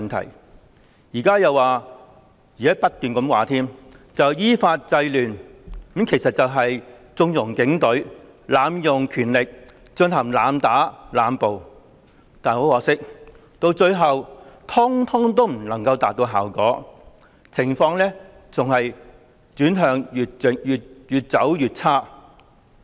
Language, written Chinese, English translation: Cantonese, 他們現在又說——是不斷地說——依法制亂，其實是縱容警隊、濫用權力、進行濫打濫捕，但很可惜，最後悉數未能達到效果，情況更是越來越差。, Now they also talk about―and keep talking about―curbing the disorder in accordance with the law but in reality it connives at the Police abusing powers using excessive force and making arbitrary arrests